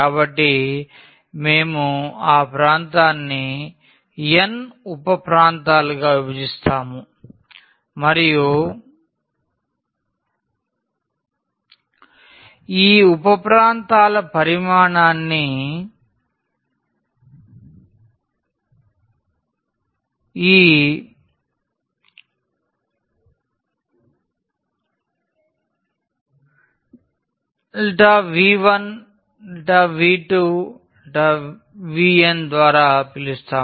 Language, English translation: Telugu, So, we will divide that region into n sub regions and we call the volume of these sub regions by this delta V 1 delta V 2 delta V n